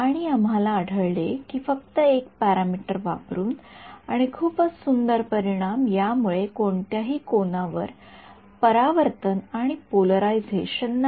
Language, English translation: Marathi, And we found that by playing around with just 1 parameter and getting a very beautiful result no reflection and any polarization at any angle ok